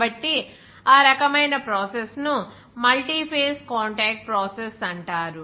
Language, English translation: Telugu, So that type of process is called a multiphase contact process